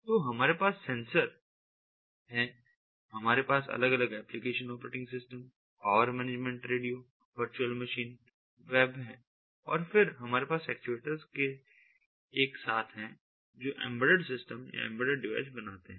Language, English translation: Hindi, we have different applications, operating system, power management, radios, virtual machines, web, and then we have these actuators all together which forms the embedded systems, the embedded devices